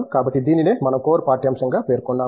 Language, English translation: Telugu, So, this is what we have termed as a core curriculum